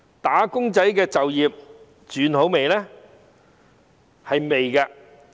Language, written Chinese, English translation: Cantonese, "打工仔"的就業情況好轉了嗎？, Has the employment situation for wage earners improved?